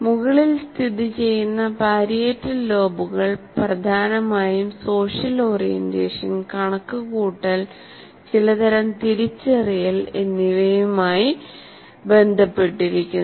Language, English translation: Malayalam, And parietal lobes located at the top deal mainly with spatial orientation, calculation and certain types of recognition